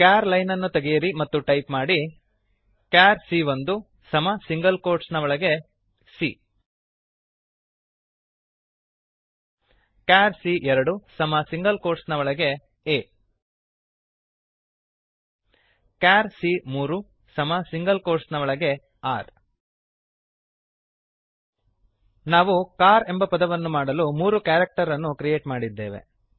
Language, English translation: Kannada, Remove the char line and type , char c1 equal to in single quotes c char c2 equal to in single quotes a char c3 equal to in single quotes r We have created three characters to make the word car